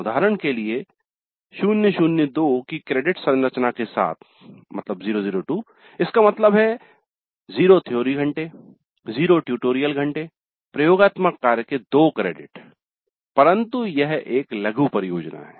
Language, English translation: Hindi, For example with a credit structure of 0 0 0 2 that means 0 3 hours, 0 tutorial hours, 2 credits worth but that is a mini project